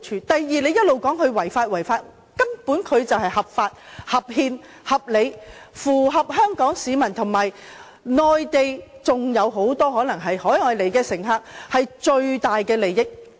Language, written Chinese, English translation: Cantonese, 第二，他們一直說"一地兩檢"違法，但根本這是合法、合憲、合理，符合香港和內地市民，還有來自海外乘客的最大利益。, Besides they have been saying that the co - location arrangement violates the laws but the arrangement actually complies with our laws and the Constitution . It is a reasonable arrangement that can bring maximum benefits to the people in Hong Kong and the Mainland as well as to overseas travellers